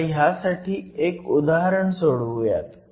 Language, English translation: Marathi, Let us just work out an example for this